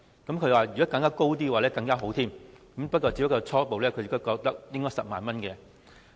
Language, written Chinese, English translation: Cantonese, 他表示，如果金額再高會更好，但他初步覺得應該是10萬元。, He indicated that it would even be better if the limit was higher but he would settle with 100,000 at the initial stage